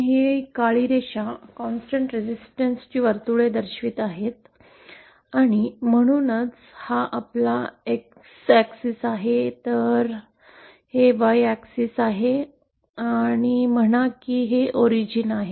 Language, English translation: Marathi, Say these black lines are representing constant resistance circles and so this is our X our X axis and Y axis on theÉSo this is X and say this is Y, this is the origin